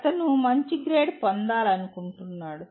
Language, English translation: Telugu, He wants to get a good grade